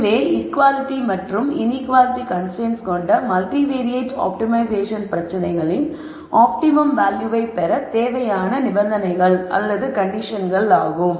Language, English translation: Tamil, These are the conditions for multivariate optimization problem with both equality and inequality constraints to be at it is optimum value and let us look at this carefully